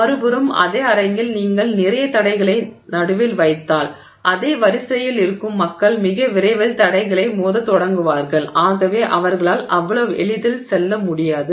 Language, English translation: Tamil, On the other hand, the same hall if you put a lot of obstacles in the middle, the same line of people will start hitting the obstacles much sooner and therefore they will not be able to go through that easily